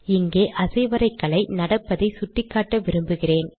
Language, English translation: Tamil, Now here I want to point out the way animation happens